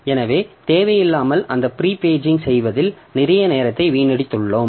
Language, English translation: Tamil, So unnecessarily we have wasted a lot of time in prepaging those pages